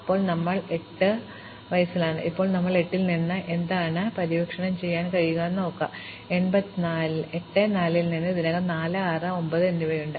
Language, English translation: Malayalam, Now we are at 8, and now we have to ask what can be explored from 8, from 8 4 is already done it has 4, 6, and 9